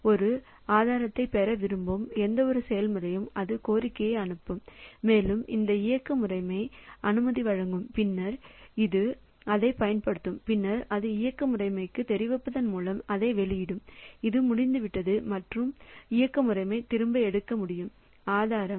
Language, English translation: Tamil, So, any process willing to get a resource so it will send a request and this operating system will grant permission and then only it will use it and then it will release it by informing the operating system that I am done you take back the resource from me